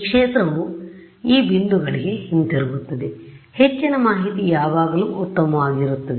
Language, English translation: Kannada, So, this field will also go back to these points, more information is always better